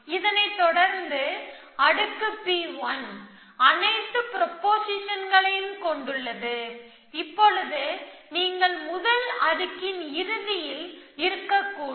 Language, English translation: Tamil, But, followed by layer P 1, which consists of all the prepositions, which could possibly which you at the, at the end of the first layer essentially